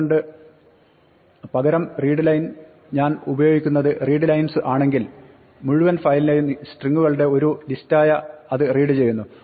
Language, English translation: Malayalam, So, instead of readline, if I say readlines then it reads the entire the files as a list of srings